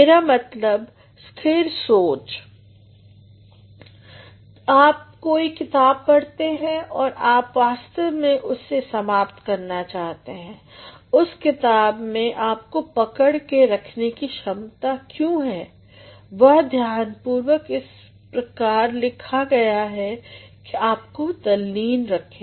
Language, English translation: Hindi, I mean, consistency of thought you read a book and you actually want to finish it why the book has got the capacity to involve you, it has been written in such a meticulous manner that throughout you feel involved